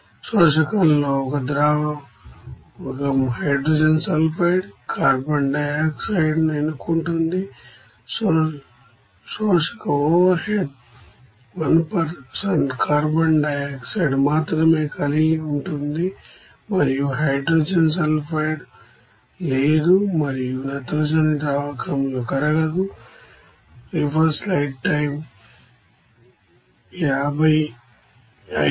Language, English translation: Telugu, In the absorber a solvent selectively absorbs hydrogen sulfide, carbon dioxide, the absorber overhead contains only 1% carbon dioxide and no hydrogen sulfide is there and nitrogen is insoluble in the solvent